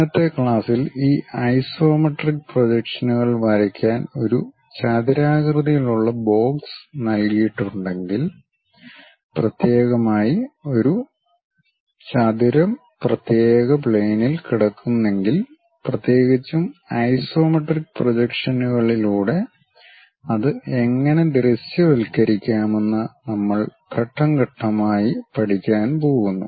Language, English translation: Malayalam, If a rectangular box is given to draw these isometric projections in today's class we are going to learn step by step how to do those especially a rectangle if it is lying on particular plane how it can be visualized through isometric projections